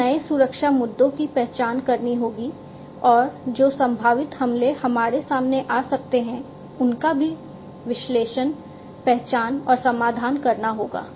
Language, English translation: Hindi, So, these new security issues will have to be identified and the potential attacks that can come in we will also have to be analyzed, identified and then resolved